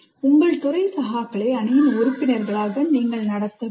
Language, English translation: Tamil, And you have to treat your department colleagues as members of a team